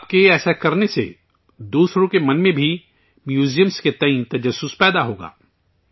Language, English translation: Urdu, By doing so you will also awaken curiosity about museums in the minds of others